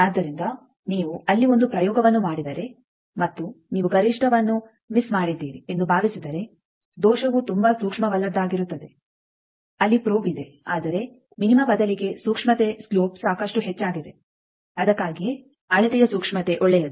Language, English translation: Kannada, So, if you perform an experiment there and suppose you miss the maxima the error committed will be it is very insensitive the probe is there whereas, in place of minima the sensitivity the slope is quite high that is why the sensitivity of the measurement is good